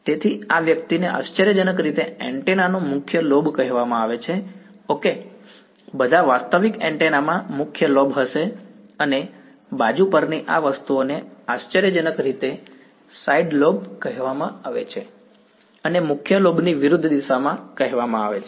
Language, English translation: Gujarati, So, this guy is called the not surprisingly called the main lobe of the antenna ok, all realistic antennas will have a main lobe and these things on the side they are called not surprisingly side lobes and opposite direction of the main lobe is what is called a back lobe ok